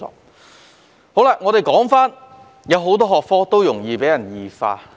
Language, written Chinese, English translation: Cantonese, 為甚麼剛才我會說很多學科容易被異化？, Why are some subjects more susceptible to morbid changes just as I said earlier?